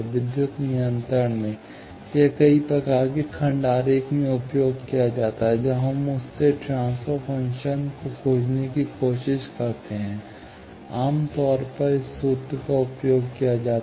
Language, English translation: Hindi, In electrical control, this is used in many type of block diagram, when we try to find the transfer function from that, generally, this formula is used